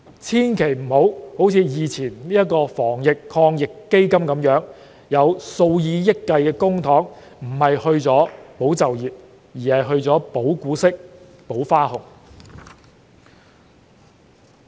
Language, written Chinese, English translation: Cantonese, 千萬不要像先前的防疫抗疫基金那樣，有數以億元計公帑不是用於"保就業"，而是用於"保股息"、"保花紅"。, The Government should not repeat the mistakes made in the previous Anti - epidemic Fund whereby hundreds of millions of public funds were not used to support employment but to guarantee dividends and bonuses